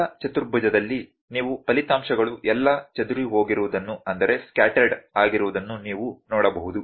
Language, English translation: Kannada, In the first quadrant you can see the results are all scattered